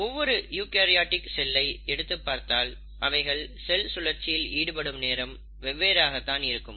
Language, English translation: Tamil, Now each eukaryotic cell will have obviously different lengths of cell cycle